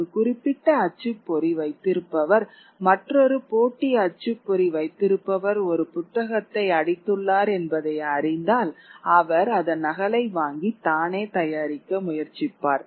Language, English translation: Tamil, If a particular printer gets to know that another rival printer has printed a book which is doing very well, he will procure a copy of it and try to produce it himself